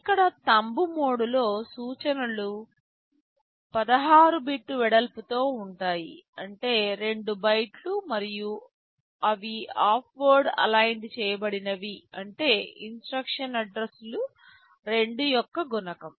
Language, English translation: Telugu, Here in the Thumb mode, the instructions are 16 bit wide; that means, 2 bytes and they are half word aligned means the instruction addresses are multiple of 2